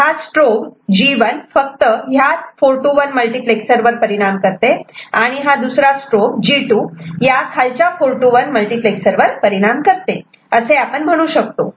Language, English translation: Marathi, So, this strobe is affecting only this 4 to 1 multiplexer and this strobe is affecting only the bottom 4 to 1 multiplexer this is what we can visualize